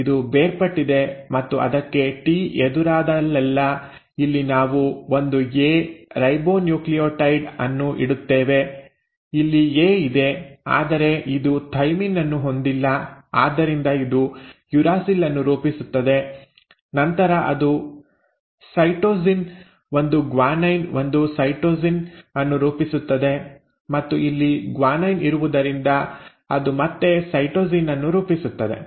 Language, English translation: Kannada, So this has separated and wherever it encounters a T, here we will put a A, ribonucleotide, here there is an A, but it does not have a thymine so it will form a uracil, then it will form cytosine, a guanine, a cytosine and here since there was a guanine it will form a cytosine again